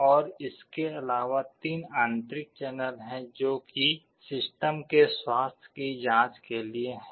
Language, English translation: Hindi, And in addition there are 3 internal channels that are meant for checking the health of the system